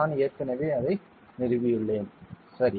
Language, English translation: Tamil, I have already installed it ok